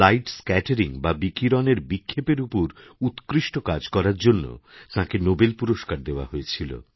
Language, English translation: Bengali, He was awarded the Nobel Prize for his outstanding work on light scattering